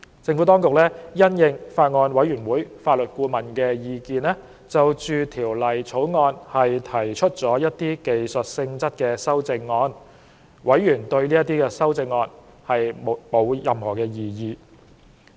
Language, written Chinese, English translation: Cantonese, 政府當局因應法案委員會法律顧問的意見，就《條例草案》提出了一些技術性質的修正案，委員對這些修正案沒有異議。, Nor have members raised objection to the technical amendments to the Bill proposed by the Administration in response to the views given by the Legal Adviser to the Bills Committee